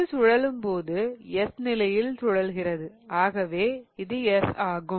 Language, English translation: Tamil, So, when it rotates it is rotating like S and thus the answer to this question is S